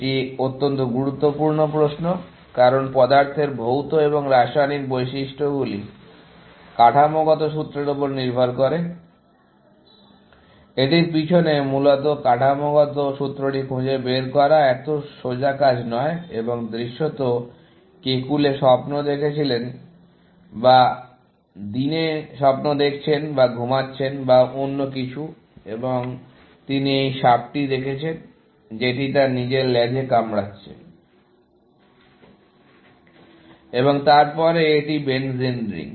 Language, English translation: Bengali, structural formula, that it is behind, essentially, and to find the structural formula, is not such a straight forward task, and apparently, Kekule was dreaming, or day dreaming or sleeping, or something, and he saw this snake, which was biting his own tail, and then, it is benzene ring and so on, essentially